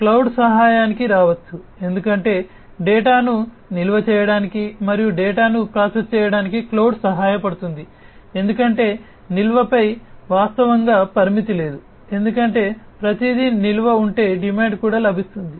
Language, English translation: Telugu, Cloud can come to the help, because cloud can help in storing the data and also processing the data, because there is as such virtually there is no limit on the storage because if everything the storage is also obtained on demand